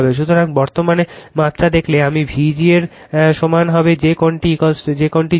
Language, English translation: Bengali, So, if you see the current magnitude, I will be equal to V g approximate that angle is 0, V g angle 0 right